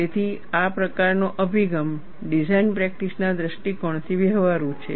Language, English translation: Gujarati, So, this kind of approach is viable, from a design practice point of view